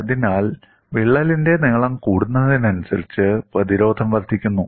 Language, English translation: Malayalam, So, the resistance increases as the crack also increases in length